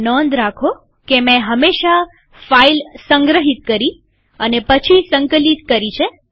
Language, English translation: Gujarati, Notice that I have always compiled after saving the file